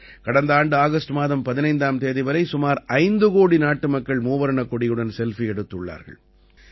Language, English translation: Tamil, Last year till August 15, about 5 crore countrymen had posted Selfiewith the tricolor